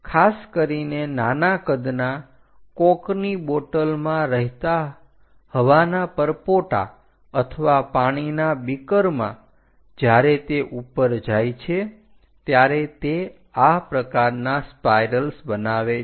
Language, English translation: Gujarati, Typically, small size air bubbles in coke bottles or perhaps in water beakers when they are rising they make this kind of spirals